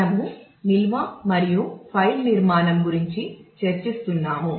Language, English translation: Telugu, We have been discussing about storage and file structure